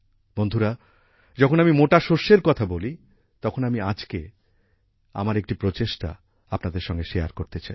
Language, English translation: Bengali, Friends, when I talk about coarse grains, I want to share one of my efforts with you today